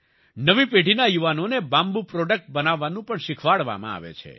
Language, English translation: Gujarati, The youth of the new generation are also taught to make bamboo products